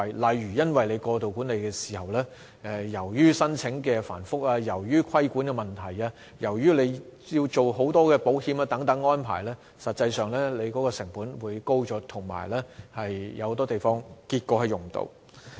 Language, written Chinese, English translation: Cantonese, 例如，因為政府過度管理，申請場地手續會更繁複、有規管問題，以及要處理很多保險等行政安排，管理成本便會因而增加，有很多地方並且會最終無法使用。, Due to the excessive management of the Government procedures for the booking of venues will become more complicated and there will be need for regulatory control as well as insurance and other administrative arrangements . This will inflate the management costs and leave many venues unused eventually